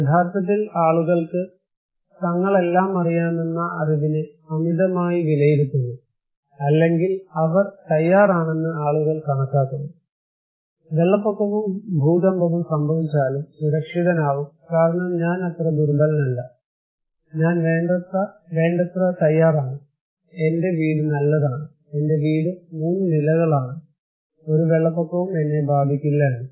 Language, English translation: Malayalam, Actually, people overestimate their knowledge that they know all, or people estimate that they are prepared enough that even flood will can earthquake will happen I will be safe because I am not that vulnerable, I am prepared enough, my house is good, my house is three storied, no flood can affect me